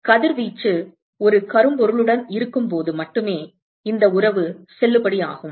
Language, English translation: Tamil, This relationship is valid only when the incident radiation is that of a black body